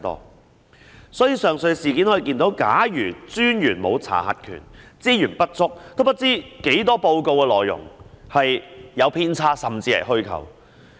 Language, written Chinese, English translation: Cantonese, 因此，從上述事件可見，假如專員沒有查核權、資源不足，有多少報告的內容有偏差，甚至是虛構，便無從得知。, Therefore it is evident in the aforesaid cases that if the Commissioner does not have the power to check nor sufficient resources there would be no way to find out how many discrepancies are contained in the reports or even if the contents are false